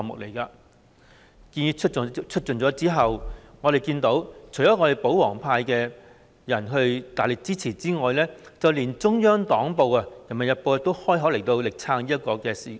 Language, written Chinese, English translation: Cantonese, 這項建議提出後，我們看到除了保皇派大力支持外，連中央黨報《人民日報》也開口力撐這項建議。, After this proposal was unveiled we see that in addition to the strong support of the royalists in Hong Kong even Peoples Daily the Central Party newspaper also voiced its support for this proposal